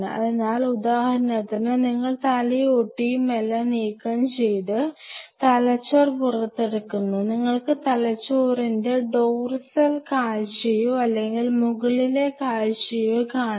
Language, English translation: Malayalam, So, for example, you take out the brain you remove the skull and everything, you are having the dorsal view or the top view of the brain it sinks with the